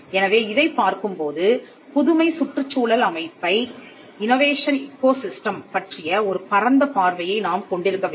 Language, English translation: Tamil, So, when we are looking at this, we have to have a broader view of the innovation ecosystem